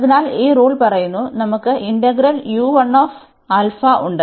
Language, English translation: Malayalam, So, now we have these three integrals